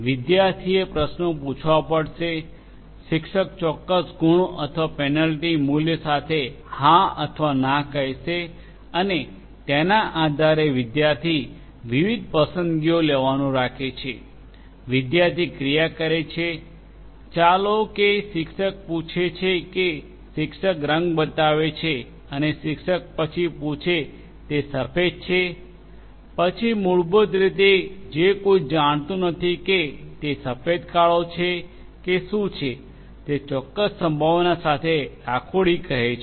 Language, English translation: Gujarati, The student will have to ask questions; the teacher will say yes or no with a certain marks or penalty value and based on that the student will keep on interacting making different choices, takes and action student takes an action you know the teacher asks that is this you know shows a color let us say the teacher shows a color and this the teacher asks that is it white then the student basically who does not know whether it is white black or what whatever it is will say that it is grey with certain probability